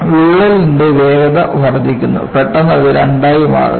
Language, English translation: Malayalam, The crack speed increases, suddenly it becomes two